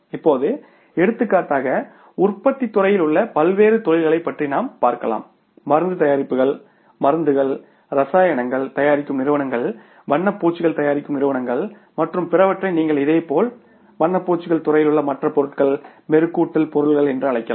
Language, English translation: Tamil, Now for example you talk about the different industries in the manufacturing sector like the firms manufacturing pharmaceutical products, drugs, the firms manufacturing chemicals, firms manufacturing paints and other you can call it as your similarly the other material in the paints industry and polishing material paints and then you talk about the firms who are manufacturing the petrochemical products